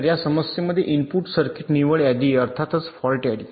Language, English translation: Marathi, so in this problem the input is ah, circuit net list, of course, and ah fault list